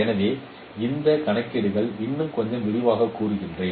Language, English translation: Tamil, So this computations let me elaborate a little further